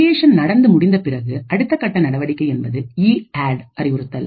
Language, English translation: Tamil, So, after creation is done the next step is an EADD instruction